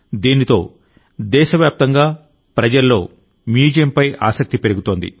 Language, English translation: Telugu, This will enhance interest in the museum among people all over the country